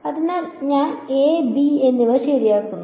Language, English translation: Malayalam, So, I am adding a and b right